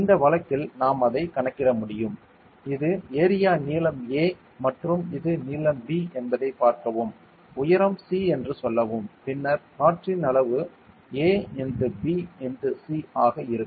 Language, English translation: Tamil, And in this case we could calculate it as; see if the this is area a length a and this is length b and say there is a height c then the volume of air will be an into b into c ok